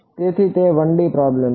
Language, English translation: Gujarati, So, it is a 1 D problem